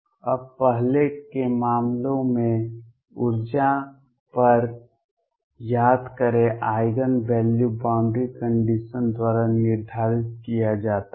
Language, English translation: Hindi, Now recall in earlier cases at energy Eigen value is determined by the boundary conditions